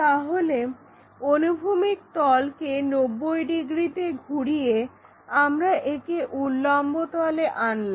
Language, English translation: Bengali, It makes 90 degrees angle with the horizontal plane, makes an angle with the vertical plane